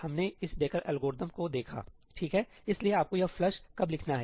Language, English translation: Hindi, We saw this Dekkerís algorithm, right, so, when do you have to write this ëflushí